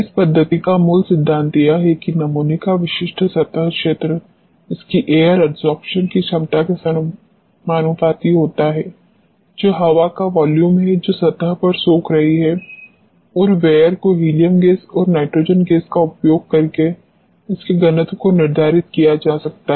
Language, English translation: Hindi, The basic principle of this methodology is that the specific surface area of the sample is proportional to its air adsorption capacity that is the volume of the air which is getting adsorbed on to the surface and V air can be determined by measuring its density using helium gas and nitrogen gas